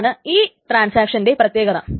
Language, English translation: Malayalam, So that is the thing about these transactions